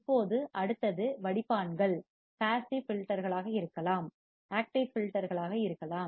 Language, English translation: Tamil, Now, next is filters can be passive filters, can be active filters